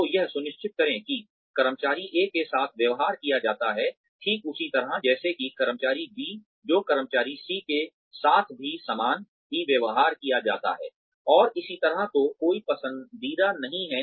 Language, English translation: Hindi, So, make sure that, employee A is treated, the exact same way as employee B, who is treated the exact same way as employee C, and so on